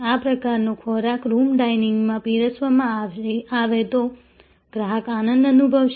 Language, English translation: Gujarati, This is the kind of a food that if served in room dinning, the customer will feel happy